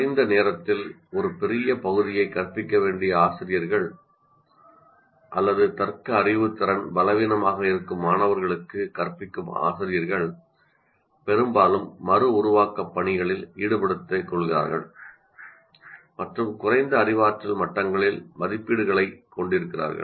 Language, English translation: Tamil, First of all, teachers who must cover a great deal of material in little time or who teach students whose reasoning skills are weak, often stick to reproduction tasks and even have assessments at lower cognitive levels